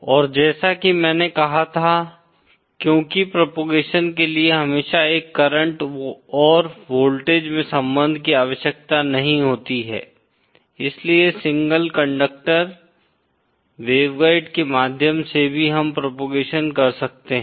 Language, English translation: Hindi, And the other as I said, since propagation need not always have a current and voltage relationship, so we can also have propagation through single conductor waveguides